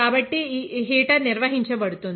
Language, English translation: Telugu, So, the heater will be maintained